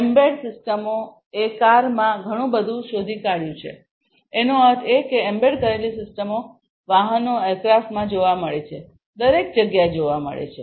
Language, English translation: Gujarati, So, embedded systems have found a lot in the cars; that means, you know vehicles, these are found in aircrafts embedded systems are found everywhere